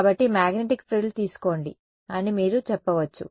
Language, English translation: Telugu, So, you can say that the take the magnetic frill